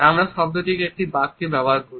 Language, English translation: Bengali, We put the word in a sentence